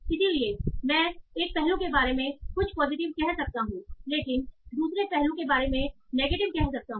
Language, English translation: Hindi, So I might be saying some positive out one aspect but negative out the other aspect